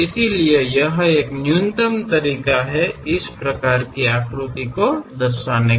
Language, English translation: Hindi, So, it is a minimalistic way of representation, representing figures